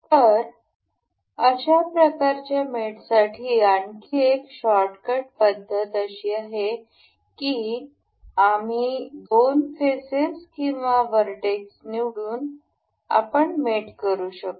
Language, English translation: Marathi, So, there is another shortcut method for doing this kind of mate is we can select directly select the two options the two faces or the vertices that we want to mate